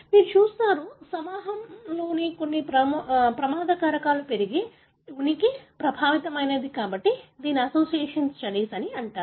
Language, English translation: Telugu, You see, the increased presence of certain risk factor in the group, the affected, so that is called as association studies